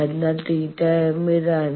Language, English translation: Malayalam, So, theta m is this